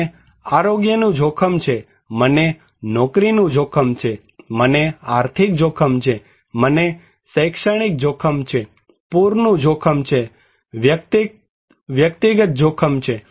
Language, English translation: Gujarati, I have health risk, I have job risk, I have financial risk, I have academic risk, flood risk, personal risk